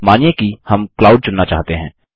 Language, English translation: Hindi, Lets say, we want to select the cloud